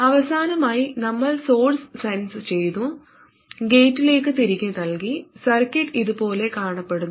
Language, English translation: Malayalam, And lastly, we sensed at the source and fed back to the gate and the circuit that we took